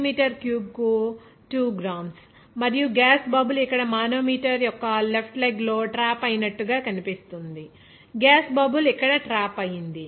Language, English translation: Telugu, 0 gram per centimeter cube and it is seen that gas bubble is trapped in the left leg of the manometer here, gas bubble is trapped here